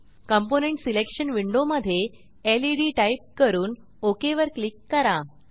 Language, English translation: Marathi, In component selection window type led and click on OK